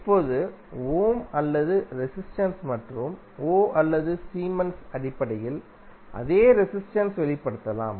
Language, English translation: Tamil, Now, same resistance can be expressed in terms of Ohm or resistance and Ohm or Siemens